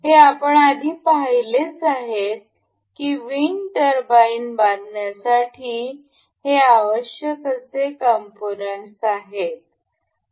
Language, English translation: Marathi, So, these are the parts that were required to build that wind turbine that we have seen earlier